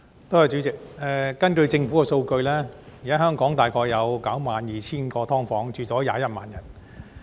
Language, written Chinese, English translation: Cantonese, 代理主席，根據政府的數據，現時香港大概有 92,000 個"劏房"，居住人數為21萬人。, Deputy President according to government figures there are some 92 000 subdivided units in Hong Kong with dwellers numbering at 210 000